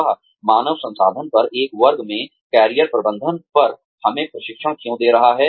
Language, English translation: Hindi, Why is she training us, on Career Management, in a class on Human Resources